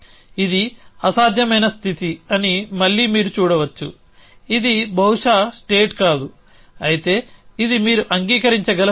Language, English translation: Telugu, Again you can see that this is an impossible state which call a this is not possibly a state whereas this is a state it you can agree